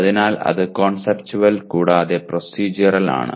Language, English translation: Malayalam, So that is conceptual and procedural